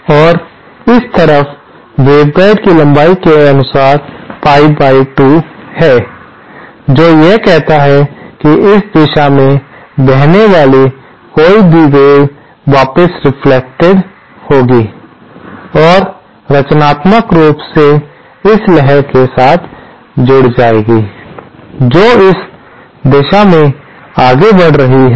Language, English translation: Hindi, And on this side, there is a pie by 2 length of the waveguide given, what it does is that any wave that flows along this direction will be reflected back and added constructively to this wave that is proceeding along this direction